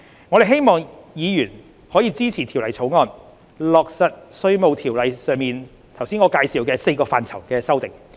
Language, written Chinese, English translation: Cantonese, 我希望議員支持《條例草案》，落實我上述介紹《稅務條例》4個範疇的修訂。, I hope that Members will support the Bill so as to implement the above mentioned amendments on the four areas under IRO